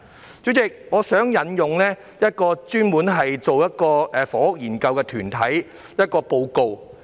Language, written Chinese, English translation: Cantonese, 代理主席，我想引用一個專門進行房屋研究的團體的一份報告。, Deputy President I would like to cite a report produced by a group specialized in conducting housing studies